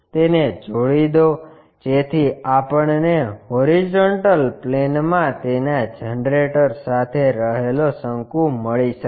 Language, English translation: Gujarati, Join that, so that we got a cone resting with its generator on the horizontal plane